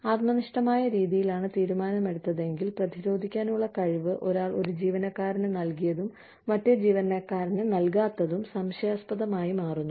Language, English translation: Malayalam, If the decision has been made, in a subjective manner, then the ability to defend, what one has given to one employee, and not given to the other employee, becomes a suspect